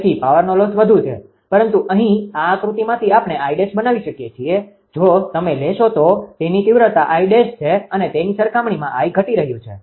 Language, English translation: Gujarati, So, power loss is high, but here from this diagram we can make out I dash; if you take it is magnitude I dash actually compared to this I is decreasing